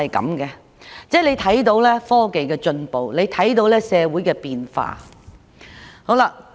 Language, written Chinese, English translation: Cantonese, 大家可以看到科技的進步及社會的變化。, We can see how technology has evolved and how the society has changed